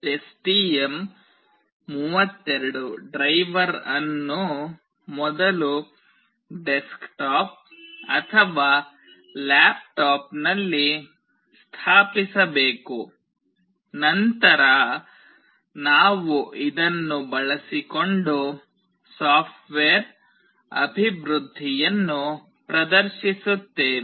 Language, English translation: Kannada, The STM32 driver must first be installed on the desktop or laptop, then we will demonstrate the software development using this